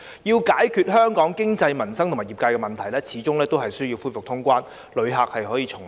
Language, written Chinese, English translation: Cantonese, 要解決香港經濟、民生及業界的問題，始終需要恢復通關，讓旅客重臨。, To resolve the economic and livelihood problems as well as those faced by the industries in Hong Kong it is after all necessary to resume cross - border travel for tourists to return